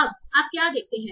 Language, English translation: Hindi, So now what do you see